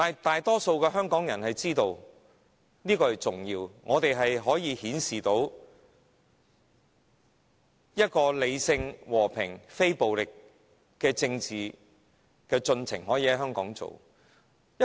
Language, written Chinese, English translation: Cantonese, 大多數的香港人明白和平地提出訴求是很重要的，顯示出理性、和平、非暴力的政治進程可以在香港實行。, The majority of Hong Kong people recognize the importance of voicing their demands in a peaceful manner and this shows that political process can proceed in Hong Kong through rational peaceful and non - violent means